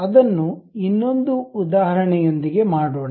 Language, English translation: Kannada, Let us do that with another example